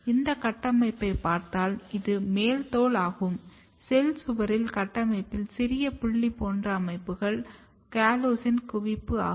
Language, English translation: Tamil, So, if you look this structure, this is epidermis you can see that in the cell wall there are small dot, dot, dot structure, which is localization of callose